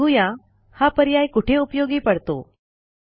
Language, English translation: Marathi, Let us see where this options are useful